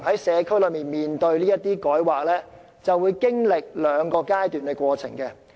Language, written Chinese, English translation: Cantonese, 社區面對這類改劃，通常會經歷兩個階段。, In district level this kind of rezoning has to go through two stages